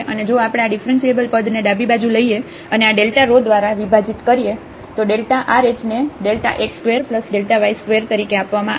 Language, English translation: Gujarati, And if we take this differential term to the left hand side, and divide by this delta rho, delta rho is given as square root of delta x square plus delta y square